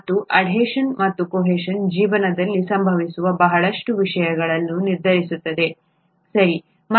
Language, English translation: Kannada, And adhesion to and cohesion together, determine a lot of things that happen with life okay